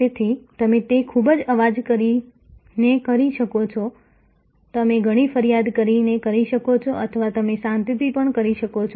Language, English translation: Gujarati, So, you can do that by making a lot of noise, you can by making a lot of complaint or you can do it quietly